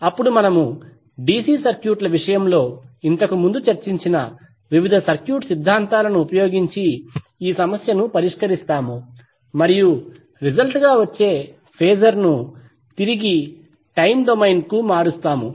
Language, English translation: Telugu, Then we will solve the problem using a various circuit theorems which we discussed previously in case of DC circuits and then transform the resulting phasor to the time domain back